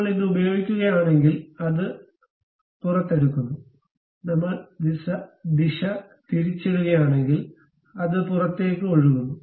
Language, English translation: Malayalam, If I use this one, it extrudes out; if I reverse the direction, it extrudes in